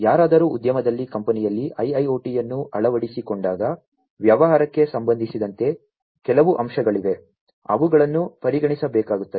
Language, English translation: Kannada, When somebody is adopting IIoT in the company in the industry, then there are certain aspects with respect to the business, they are that will have to be considered